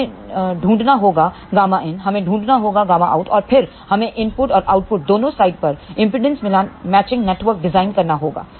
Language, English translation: Hindi, We have to find out gamma in, we have fine gamma out and then, we have to design impedance matching networks at both input and output sides